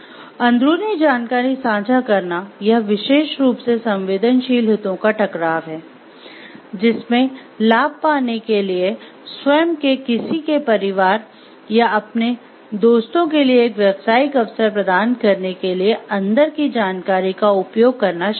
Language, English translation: Hindi, Sharing insider information; it is especially sensitive conflict of interest, which consists in using inside information to get an advantage or set up a business opportunity for oneself, one’s family or ones friends